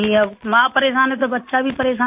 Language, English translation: Hindi, Now if the mother is upset, naturally the child will also be upset